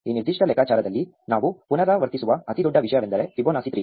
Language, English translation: Kannada, In this particular computation, the largest thing that we repeat is Fibonacci of 3